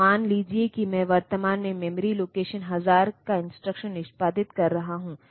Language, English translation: Hindi, So, suppose I am at present executing instruction at memory location thousand